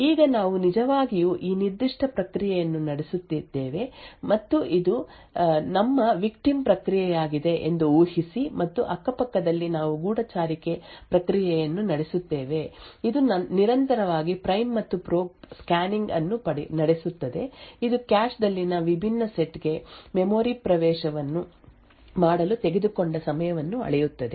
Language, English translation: Kannada, Now assume that we are actually running this particular process and this is our victim process and side by side we also run a spy process which is continuously running the prime and probe scanning the measuring the time taken to make memory accesses to a different sets in the cache